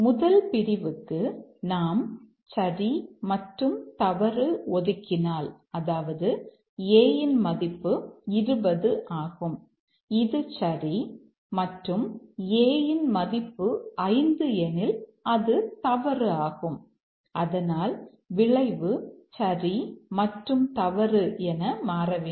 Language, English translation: Tamil, And if we assign true and false to this, that is A is 20 which is true and A is 5 false, then the outcome should also become true and false